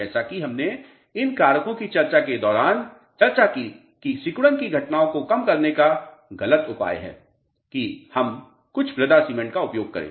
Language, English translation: Hindi, As we discussed during the course of discussion of these factors the false remedy of nullifying shrinkage phenomena would be we use some soil cement